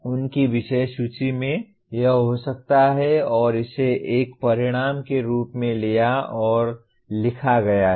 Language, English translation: Hindi, In their topic list this could be there and that is picked up and written as a course outcome